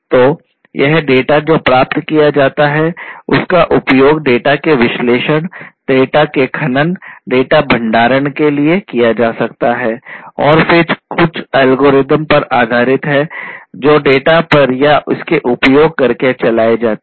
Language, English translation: Hindi, So, this data that is obtained can be used for analyzing it, analyzing the data, mining the data, storing the data and then based on certain algorithms that are run on it on the data or using the data